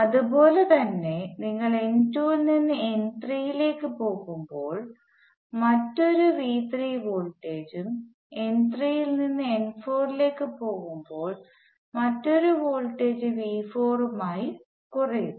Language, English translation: Malayalam, Similarly when you go from n 2 to n 3 voltage falls by another V 3 and when you go from n 3 to n 4 voltage falls by another V 4